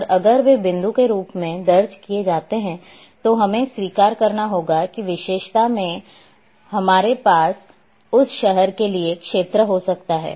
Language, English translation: Hindi, And if they are recorded as point then we have to accept though in attribute we may have the area for that city